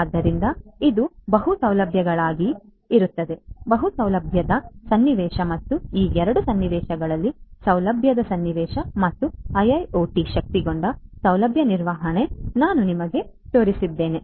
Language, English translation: Kannada, So, this will be for multi facilities right multiple facility scenario and the single facility scenario and IIoT enabled facility management in both of these scenarios is what I just showcased you